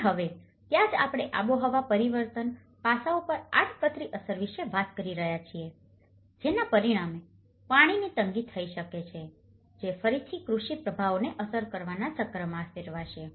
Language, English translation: Gujarati, And now, that is where we are talking about the indirect impact on the climate change aspects, which may result in the shortage of water, which will again turn into a cycle of having an impact on the agricultural impacts